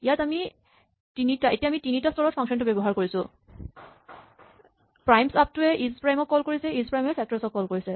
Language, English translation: Assamese, We have three levels of functions now, primesupto which calls isprime, which calls factors